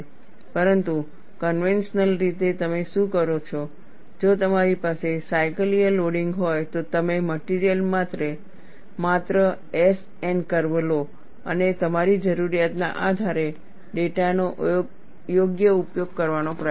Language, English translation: Gujarati, But conventionally, what you do, if we have a cyclical loading, you just take the S N curve for the material and try to use the data appropriately, on that basis of your need